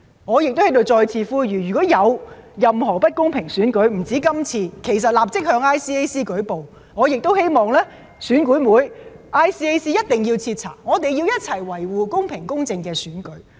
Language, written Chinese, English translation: Cantonese, 我在此再次呼籲，如有任何不公平選舉——不只是這一次——其實可以立即向 ICAC 舉報，我亦希望選管會及 ICAC 一定要徹查，我們要一起維護公平公正的選舉。, I wish to urge once again here that if anyone finds anything unfair in elections―not just the upcoming one―he or she should report to ICAC at once and I also hope that EAC and ICAC will conduct thorough investigations . We should safeguard a fair and just election